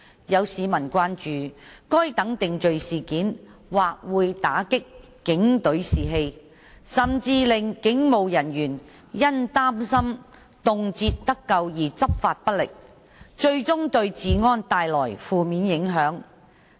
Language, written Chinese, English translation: Cantonese, 有市民關注該等定罪事件或會打擊警隊士氣，甚至令警務人員因擔心動輒得咎而執法不力，最終對治安帶來負面影響。, Some members of the public have expressed the concern that such convictions may deal a blow to the morale of the police force and even cause the perfunctory law enforcement by police officers owing to concerns over undue blame which will eventually have an adverse impact on law and order